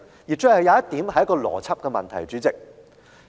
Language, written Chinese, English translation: Cantonese, 主席，我最後想談談一個邏輯問題。, President I wish to discuss an issue of logic in the final part of my speech